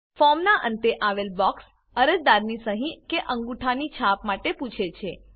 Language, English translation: Gujarati, The box at the end of the form, asks for the applicants signature or thumb print